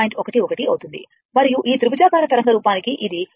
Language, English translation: Telugu, 11 and for this triangular waveform